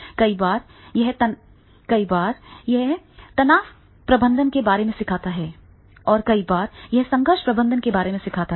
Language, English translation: Hindi, Many times that he learns about the stress management, many times he learns about the conflict management